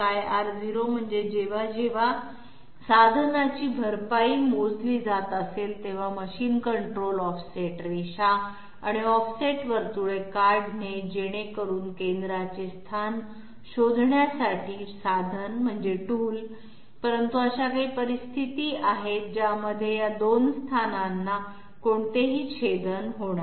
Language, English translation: Marathi, R0 means that whenever the tool compensation is being calculated, the machine will the machine control will draw offset lines and offset circles in order to find out the locus of the centre of the tool, but there are some situations in which these 2 loci will not have any intersection